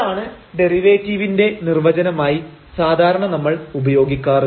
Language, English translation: Malayalam, So, that is the definition of the derivative usually we have